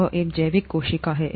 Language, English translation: Hindi, It is a biological cell